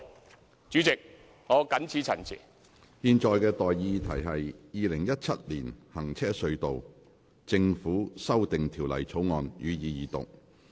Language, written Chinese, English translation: Cantonese, 我現在向各位提出的待議議題是：《2017年行車隧道條例草案》，予以二讀。, I now propose the question to you and that is That the Road Tunnels Government Amendment Bill 2017 be read the Second time